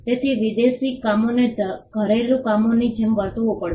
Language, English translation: Gujarati, So, foreign works had to be treated as per like domestic works